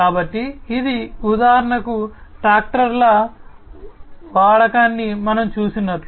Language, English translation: Telugu, So, this is something like you know we have seen the use of tractors for example